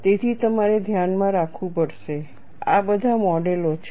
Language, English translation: Gujarati, So, you will have to keep in mind these are all models